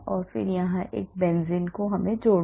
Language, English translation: Hindi, and then I am adding another benzene here